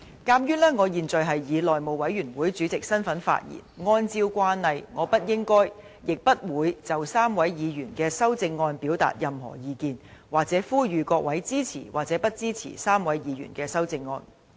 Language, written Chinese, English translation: Cantonese, 鑒於我現在是以內務委員會主席的身份發言，按照慣例我不應該、亦不會就3位議員的修正案表達任何意見，或呼籲各位支持或不支持3位議員的修正案。, Since I am now speaking in my capacity as Chairman of the House Committee in accordance with the established practice I should not and will not express any views on the amendments of the three Members or urge Members to support or not to support the amendments of the three Members